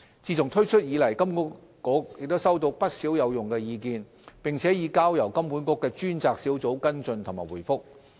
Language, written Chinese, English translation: Cantonese, 自推出以來，金管局收到不少有用的意見，並已交由金管局的專責小組跟進和回覆。, Since the launch of HKMAs dedicated web page and email account useful feedback and comments have been received which are being followed up by a dedicated team of HKMA